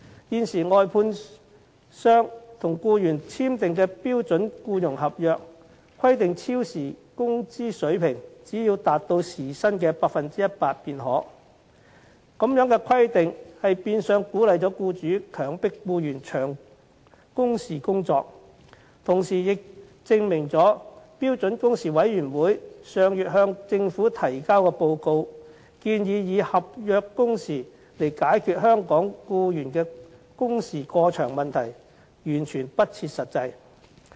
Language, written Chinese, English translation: Cantonese, 現時，外判商與僱員簽訂的標準僱傭合約，規定超時工資水平只要達到時薪 100% 便可，這樣的規定變相鼓勵僱主強迫僱員長工時工作，同時亦證明了標準工時委員會上月向政府提交的報告，建議以合約工時解決香港僱員工時過長的問題，完全不切實際。, Under the current requirement the standard employment contract signed between contractors and their employees only has to stipulate that the overtime pay shall be 100 % of the hourly wage rate . This provision is in effect encouraging employers to make their employees work long hours . This is also proof of the impracticality of the proposal for setting contractual working hours to resolve the problem of excessively long working hours of employees in Hong Kong put forward by the Standard Working Hours Committee in its report submitted to the Government last month